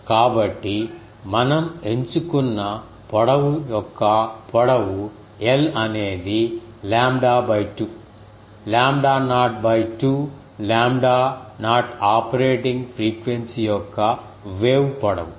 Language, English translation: Telugu, So, if we choose a popular choice of length is l is lambda by 2, lambda naught by 2 lambda naught is the wave length of the operating frequency